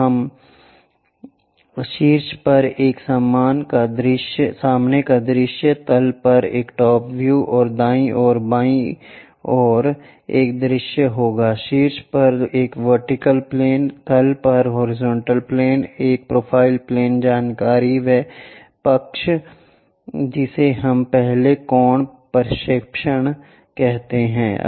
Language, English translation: Hindi, So, there we will be having a front view on top, a top view on the bottom, and a left side view on the right hand side, a vertical plane on top, a horizontal plane at bottom, a profile plane information at side that what we call first angle projection